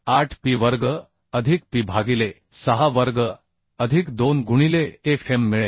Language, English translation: Marathi, 478P square plus P by 6 square plus 2 into Fm is 0